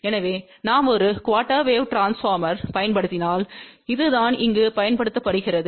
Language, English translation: Tamil, So, if we use one quarter wave transformer, so this is what is being used over here